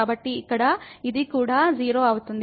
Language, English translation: Telugu, So, here this will also become 0